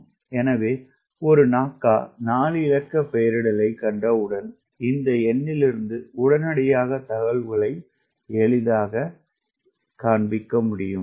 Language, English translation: Tamil, so once you see a naca four digit nomenclature, immediately from this number you could easily find out what are the information you are getting